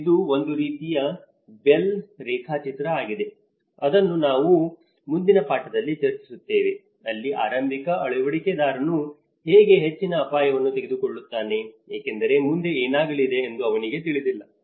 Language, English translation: Kannada, It is a kind of Bell graph, which I will discuss in the further lesson where how the early adopter he takes a high risk because he does not know anything what is going to happen next